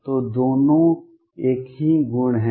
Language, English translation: Hindi, So, both are the same properties